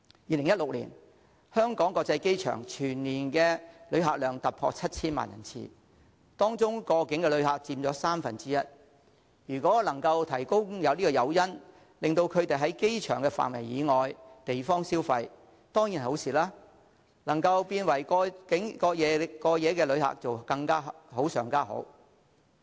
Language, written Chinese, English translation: Cantonese, 2016年，香港國際機場全年旅客量突破 7,000 萬人次，當中過境旅客佔三分之一，如果能夠提供誘因，令他們在機場範圍以外地方消費，當然是好事，如果他們能成為過夜旅客便更好。, Transit passengers who have to stay in Singapore for more than five hours can join free tours to see the city . In 2016 the annual visitor arrivals at the Hong Kong International Airport HKIA exceeded 70 million and transit passengers accounted for one third of the number . If sufficient incentives are given to these passengers to go outside HKIA it will certainly be good; and it will be even better if they become overnight visitors